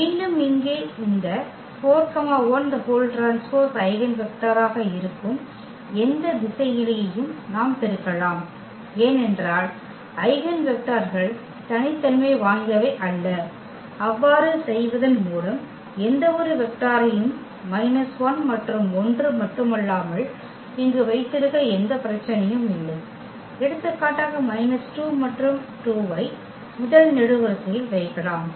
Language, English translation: Tamil, Again here also this 4 1 we can multiply by any scalar that will also be the eigenvector, because eigenvectors are not unique and by doing so, also there is no problem we can keep any vector here not only minus 1 and 1, we can also place for example, minus 2 and 2 here in the first column